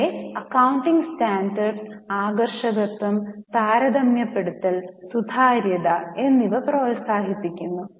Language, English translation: Malayalam, In general, accounting standards promote uniformity, rationalization, comparability and transparency